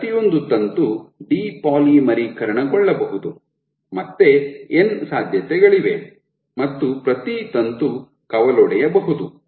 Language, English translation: Kannada, Each filament can depolymerize, again there are n possibilities, and each filament can branch